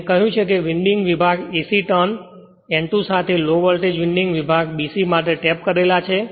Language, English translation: Gujarati, I told you winding section AC with N 2 turns tapped for a lower voltage secondary winding section BC this I told you